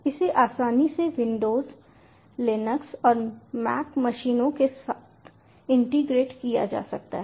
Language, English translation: Hindi, it can be easily integrated with windows, linux and mac machines